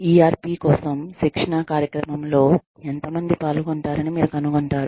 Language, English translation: Telugu, You will find out, how many participants, participate in the training program, for ERP